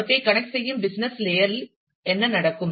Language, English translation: Tamil, What happens in the business layer which connects them